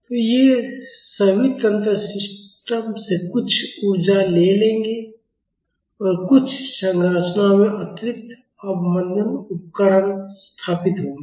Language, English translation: Hindi, So, all these mechanisms will take away some energy from the system and in some structures, there will be additional damping devices installed